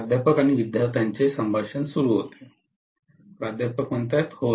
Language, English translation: Marathi, [Professor student conversation starts] Yes